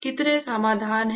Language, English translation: Hindi, How many solutions